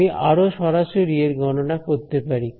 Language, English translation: Bengali, I can do a more direct calculation